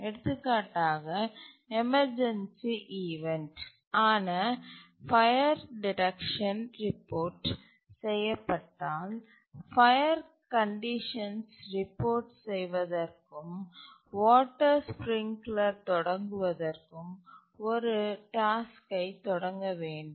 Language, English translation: Tamil, For example, an emergency event like let's say there is a fire detection reported and a task needs to be started to report fire conditions and also to stack the water sprinklers